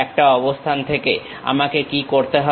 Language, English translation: Bengali, From one location what I have to do